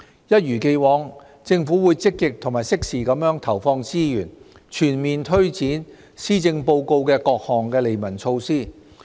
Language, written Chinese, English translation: Cantonese, 一如既往，政府會積極及適時地投放資源，全面推展施政報告的各項利民措施。, As always the Government will make proactive and timely injections of resources to comprehensively take forward various initiatives in the Policy Address benefiting the public